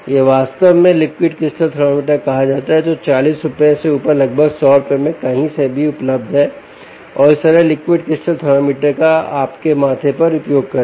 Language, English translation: Hindi, this is actually called a liquid crystal thermometer, which is available for anywhere from rupees forty upwards to about hundred rupees, and use this simple liquid crystal thermometer on your forehead